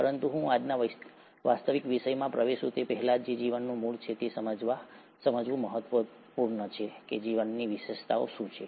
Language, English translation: Gujarati, But before I get into the actual topic of today, which is origin of life, it's important to understand what are the features of life